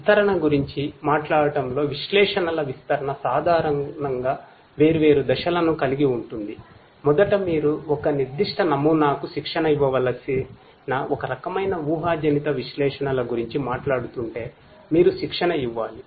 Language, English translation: Telugu, Talking about the deployment; deployment of analytics typically consists of different steps first you have to train if we are talking about some kind of predictive analytics you have to train a particular model